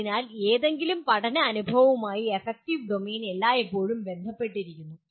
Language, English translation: Malayalam, So affective domain is always associated with any learning experience